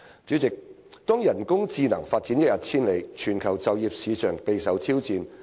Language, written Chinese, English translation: Cantonese, 主席，當人工智能發展一日千里，全球就業市場備受挑戰。, President at a time when artificial intelligence AI is developing by leaps and bounds the global job market is facing serious challenges